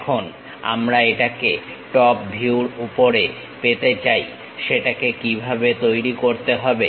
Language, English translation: Bengali, Now, we would like to have it in top view how to construct that